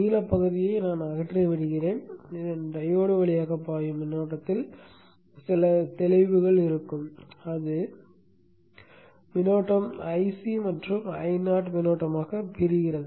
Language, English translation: Tamil, Let me remove out the blue region so that we have some clarity in the current flowing through the diode and which will again split up into C and or not, I not current